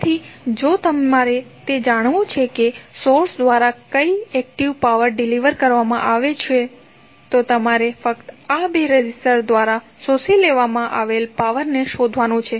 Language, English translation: Gujarati, So, if you want to know that what the power active power being delivered by the source you have to simply find out what the power being absorbed by these two resistances